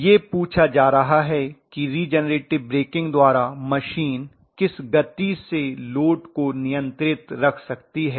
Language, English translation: Hindi, So at what speed the machine can hold the load by regenerator breaking